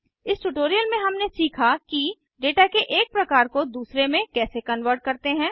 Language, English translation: Hindi, In this tutorial we have learnt how to convert data from one type to another